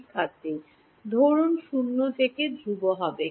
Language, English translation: Bengali, Suppose 0 to E will be constant